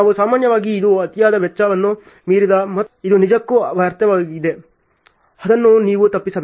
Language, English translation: Kannada, We generally it is like too much of cost overrun and which is actually a waste so, which you should avoid ok